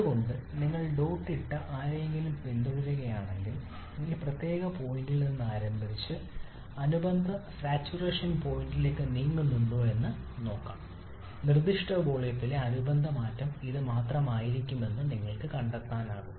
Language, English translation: Malayalam, That is why if you follow any one dotted line let us see if we start from this particular point and move up to the corresponding saturation point which is this you can find, sorry you can find the corresponding change in specific volume may be only this much